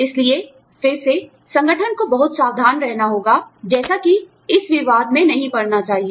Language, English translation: Hindi, So, again, the organization has to be very careful, as to, not get into this controversy